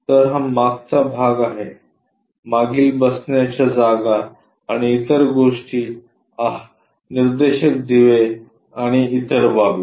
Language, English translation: Marathi, So, this is back side portion, the back side seats and other thingsthe indicator lights and other stuff